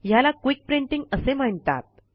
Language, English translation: Marathi, This is known as Quick Printing